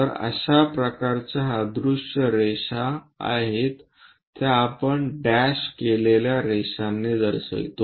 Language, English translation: Marathi, So, such kind of lines invisible things, but still present we show it by dashed lines